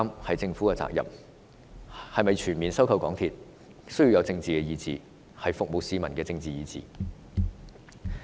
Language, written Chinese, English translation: Cantonese, 是否全面收購港鐵需要有政治意志，是服務市民的政治意志。, Whether or not a full buyback of MTRCL is taken forward requires a political will a political will to serve the people